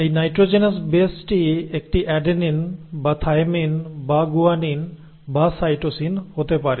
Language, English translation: Bengali, Now this nitrogenous base could be either an adenine or a thymine or a guanine or a cytosine